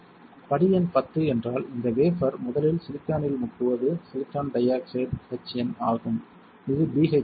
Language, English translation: Tamil, Step number 10 would be that you dip this wafer in silicon first is silicon dioxide HN which is BHF